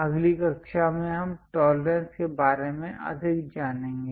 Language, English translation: Hindi, In the next class we will learn more about tolerances